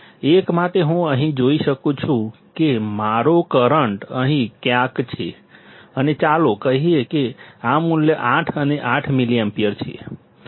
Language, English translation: Gujarati, For 1, I can see here my current is somewhere here and let say this value is 8 and 8 milliampere